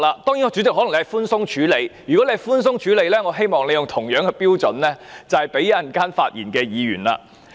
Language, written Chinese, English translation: Cantonese, 當然，主席可能是寬鬆處理，但如果對他寬鬆處理，那我希望主席也以相同的標準來對待稍後發言的議員。, Certainly the Chairman may have been tolerant of this . Yet if the Chairman is tolerant towards him I hope the Chairman will apply the same standard to Members speaking later on